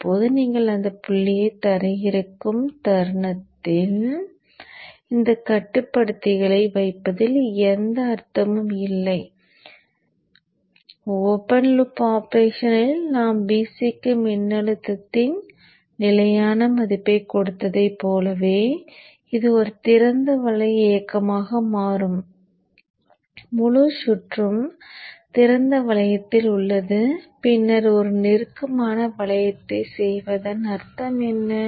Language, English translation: Tamil, Now let us take the first case if Vc is equal to zero what it means that I am grounding it at this point this point is grounded now the moment you ground that point it means that there is no meaning in putting all this controller like in the open loop operation where we had given a fixed value of voltage to VC this becomes an open loop operation the whole circuit is in open loop then what is the meaning of doing closed loop cease to exist